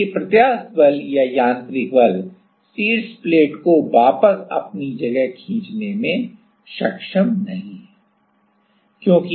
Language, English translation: Hindi, Because, elastic force or the mechanical force is not is not able to pull the top plate back to it is place